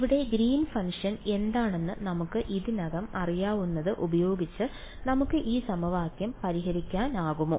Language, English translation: Malayalam, Now can we solve this equation using what we already know which is the Green’s function over here can I use this what do you think